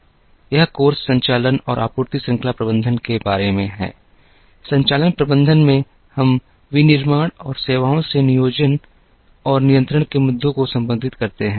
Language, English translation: Hindi, This course is about operations and supply chain management; in operations management, we address planning and control issues in manufacturing and services